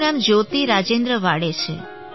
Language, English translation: Gujarati, My name is Jyoti Rajendra Waade